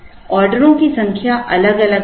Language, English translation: Hindi, The number of orders will be different